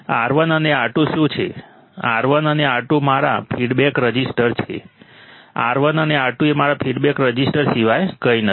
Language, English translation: Gujarati, What is R1 and R2, R1 and R2 are my feedback resistors, R1 and R2 are nothing but my feedback resistors